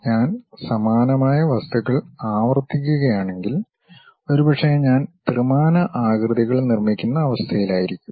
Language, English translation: Malayalam, If I repeat similar kind of objects, perhaps I will be in a position to construct three dimensional shapes